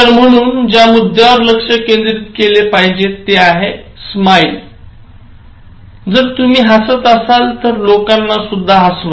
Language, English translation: Marathi, So, the point that you should focus, so simple, “smile,” so, if you can go with a smile, make people smile, that is, at a simple level